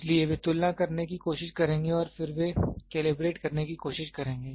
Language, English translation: Hindi, So, this they will try to compare and then they try to calibrate